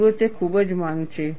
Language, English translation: Gujarati, See, its very highly demanding